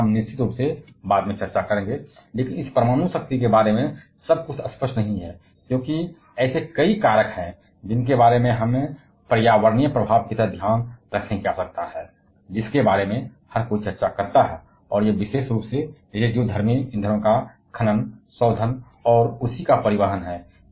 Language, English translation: Hindi, So, how that of course, we shall be discussing later on, but everything is not rosy about this nuclear power, because there are several factors that we need to be mindful of like the environmental effect that everyone discusses about, it is particularly with the handling of radioactive fuels mining, refining and transportation of the same